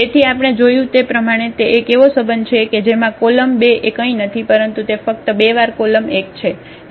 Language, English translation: Gujarati, So, that is the one relation we have seen that this C 2 the column 2 is nothing but the two times C 1